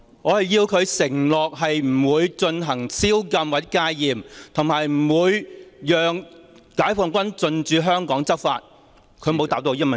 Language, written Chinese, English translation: Cantonese, 我要他承諾不會實施宵禁或戒嚴，以及不會讓解放軍進駐香港執法，但他沒有回答我這個問題。, I want him to undertake that he will not impose a curfew or proclaim martial law and let PLA come to Hong Kong to enforce the law but he did not answer my question